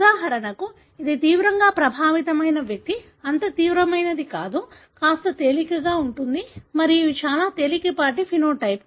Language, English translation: Telugu, For example, this is a severely affected individual, not that severe, somewhat milder and these are very mild phenotype